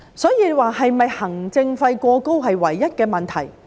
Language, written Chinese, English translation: Cantonese, 所以，行政費過高是否唯一的問題？, So is the high administrative fee the only problem?